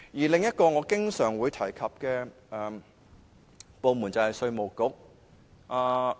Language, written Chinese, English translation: Cantonese, 另一個我經常提及的部門就是稅務局。, Another department I often mention is the Inland Revenue Department IRD